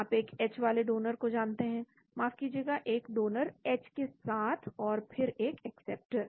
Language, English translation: Hindi, you know a donor with H, sorry a donor with the H and then an acceptor